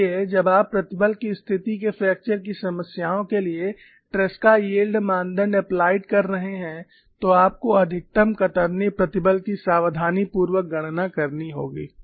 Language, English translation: Hindi, So, when you are applying Tresca yield criteria to plane stress situation fracture problem you have to calculate the maximum shear stress carefully